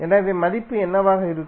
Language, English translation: Tamil, So, what would be the value